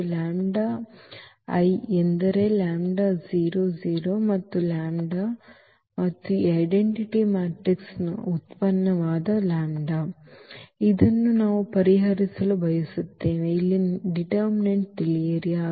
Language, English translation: Kannada, So, lambda I means the lambda 0 0 and the lambda that is the product of lambda and this identity matrix and this we want to solve know the determinant here